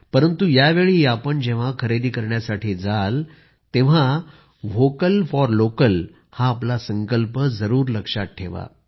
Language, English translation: Marathi, But this time when you go shopping, do remember our resolve of 'Vocal for Local'